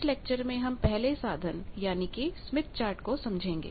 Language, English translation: Hindi, Now, let us come to what is a smith chart